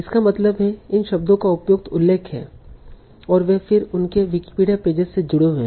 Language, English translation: Hindi, So that means these words are the appropriate mentions and they are then linked to their Wikipedia pages